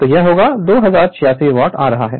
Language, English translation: Hindi, So, it is coming 2076 watt right